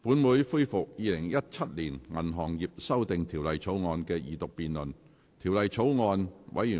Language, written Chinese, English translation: Cantonese, 本會恢復《2017年銀行業條例草案》的二讀辯論。, The Council resumes the Second Reading debate on the Banking Amendment Bill 2017